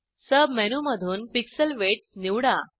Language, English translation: Marathi, From the sub menu select Pixel Width